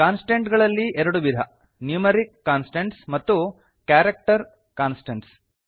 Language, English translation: Kannada, There are two types of constants , Numeric constants and Character constants